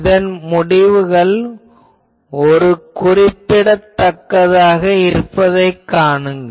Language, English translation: Tamil, And you will see that this result will be remarkable